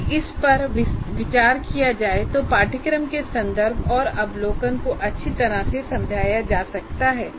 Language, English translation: Hindi, Now, based on this, the course context and overview should be written